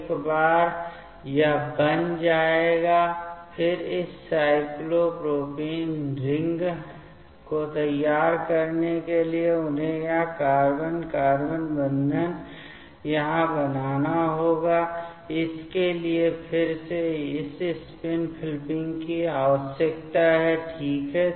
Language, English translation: Hindi, Once it will form this one, then again to prepare this cyclopropane ring, they have to make this carbon carbon bond here, for that again this spin flipping is required ok